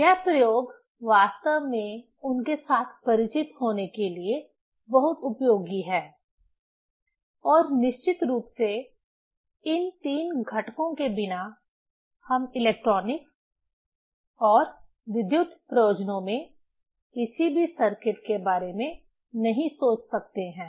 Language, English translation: Hindi, This experiments is really a very useful to be familiar with them and of course, without these three component we cannot think of any circuit in electronics and electrical purposes